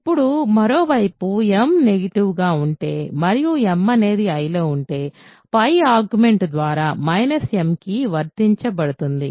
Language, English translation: Telugu, Now, on the other hand if m is negative and m is in I, by the above argument, by the above argument applied to minus m right